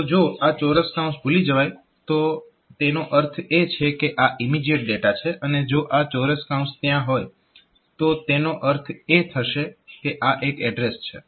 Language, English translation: Gujarati, So, if these square brackets are missed are missing, then that will mean and mean and immediate data if this square brackets are there, it will mean that it is an address